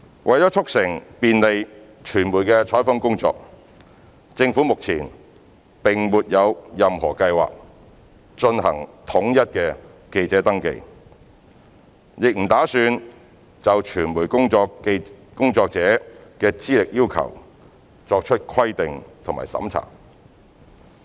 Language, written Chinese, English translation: Cantonese, 為促成便利傳媒的採訪工作，政府目前並沒有任何計劃進行統一的記者登記，亦不打算就傳媒工作者的資歷要求作出規定和審查。, To facilitate media reporting work the Government currently does not have any plan to conduct central registration of journalists and does not intend to regulate and vet media practitioners qualifications for reporting